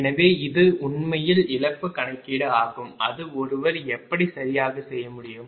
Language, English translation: Tamil, so this is actually loss calculation, that how one can do it right